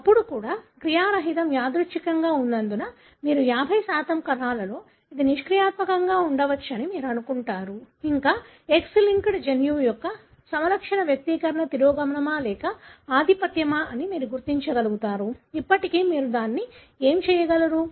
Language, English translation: Telugu, Even then, since the inactivation is random you assume that in 50% of the cells it could be inactive and so on, still you will be able to trace whether the phenotype expression of an X linked gene is recessive or dominant; still you will be able to do it